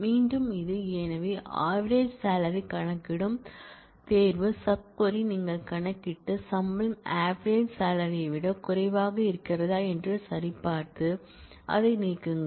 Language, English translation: Tamil, Again this is; so, you compute the selection sub query which computes the average salary and check if the salary is less than the average salary and delete that